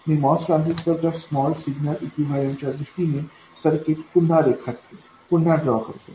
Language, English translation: Marathi, So, this is all that we do and I will redraw the circuit in terms of the small signal equivalent of the MOS transistor